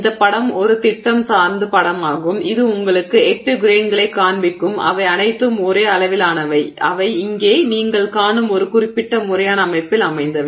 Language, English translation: Tamil, This image is just a schematic which shows you eight grains which are all of exactly the same size and they are oriented in a certain systematic manner that you see here